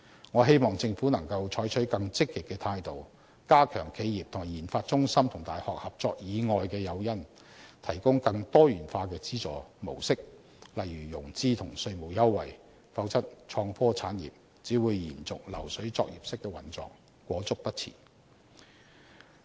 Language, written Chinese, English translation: Cantonese, 我希望政府能夠採取更積極的態度，加強企業與研發中心和大學合作以外的誘因，提供更多元化的資助模式，例如融資和稅務優惠，否則創科產業只會延續流水作業式的運作，裹足不前。, I hope the Government will provide a diversified mode of subsidy such as the provision of finance and tax concessions . If not the IT industry will only adhere to the production line mode and cannot move forward